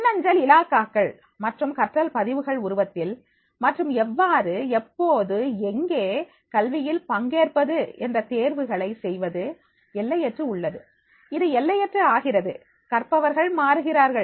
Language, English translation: Tamil, In the form of e portfolios and learning records and to make choices about how, when and where they participate in education, therefore it is the boundary less, it is becoming the boundary less, learners are changing